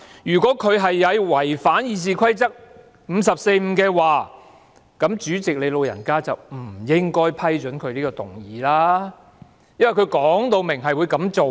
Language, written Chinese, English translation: Cantonese, 如果他有違反《議事規則》第545條，那麼主席你"老人家"便不應該批准他這項議案，因為他已說明會這樣做。, If it does then President you should not have allowed him to move this motion because he has clearly said that he will pursue this approach